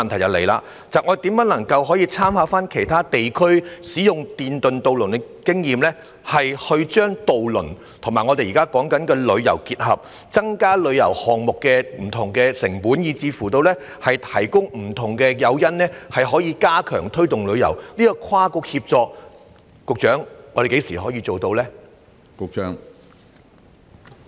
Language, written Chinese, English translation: Cantonese, 我的補充質詢是，參考其他地區使用電動渡輪的經驗，將渡輪與旅遊結合，以降低旅遊項目的成本，甚至提供不同的誘因以加強推動旅遊，請問局長我們何時能夠做到跨局協作呢？, My supplementary question is The experience of other regions in using electric ferries shows that the integration of ferries and tourism can lower the costs of tourism projects and even provide various incentives to step up the promotion of tourism . Secretary when can cross - bureaux collaboration be achieved?